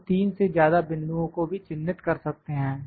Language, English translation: Hindi, We can mark more than 3 points as well